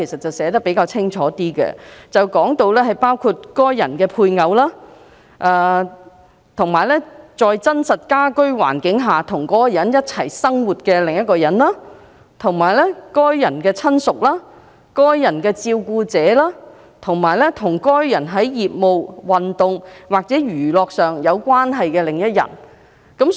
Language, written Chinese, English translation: Cantonese, 《條例草案》清楚訂明，包括：該人的配偶；與該人在真正的家庭基礎上共同生活的另一人；該人的親屬；該人的照料者；以及與該人在業務、體育或消閒關係的另一人。, The Bill specifies that an associate includes a spouse of the person; another person who is living with the person on a genuine domestic basis; a relative of the person; a carer of the person; and another person who is in a business sporting or recreational relationship with the person